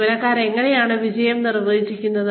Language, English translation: Malayalam, How do employees, define success